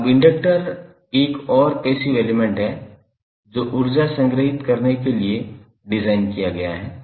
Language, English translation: Hindi, Now, inductor is another passive element which is design to stored energy